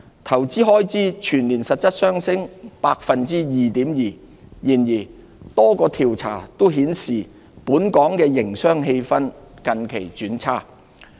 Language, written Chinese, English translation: Cantonese, 投資開支全年實質上升 2.2%。然而，多個調查均顯示本港營商氣氛近期轉差。, Although investment expenditure registered a growth of 2.2 % in real terms for the year a number of surveys have reflected the weakened business sentiment in Hong Kong recently